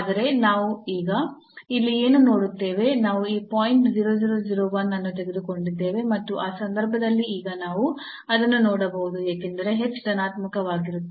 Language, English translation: Kannada, So, this is a still negative because these are the last term, but what we see here now we have taken this point 0001 and in that case now we can see that the, since h is positive